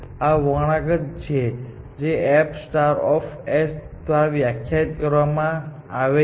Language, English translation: Gujarati, This is the curve which is defined by f star of s